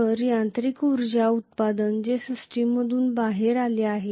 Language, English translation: Marathi, So the mechanical energy output that has come out of the system